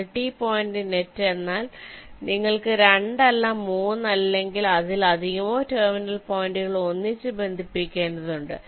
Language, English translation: Malayalam, multi point net means you have not two but three or more terminal points which have to be connected together